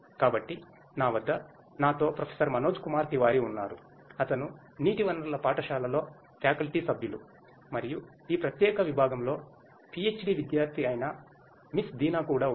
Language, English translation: Telugu, So, I have with me Professor Manoj Kumar Tiwari, who is a faculty member in the school of water resources and also Miss Deena, who is a PhD student in this particular department